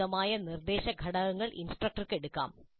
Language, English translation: Malayalam, Suitable instructional components can be picked up by the instructor